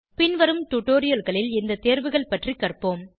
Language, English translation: Tamil, We will learn about these options in subsequent tutorials